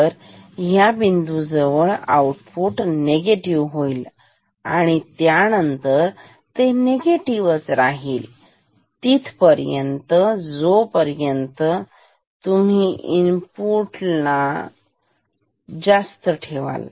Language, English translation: Marathi, So, at this point output will become negative and then it will stay negative as long as you keep the input here or actually as long as you keep it above LTP ok